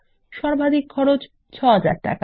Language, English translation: Bengali, The maximum cost is rupees 6000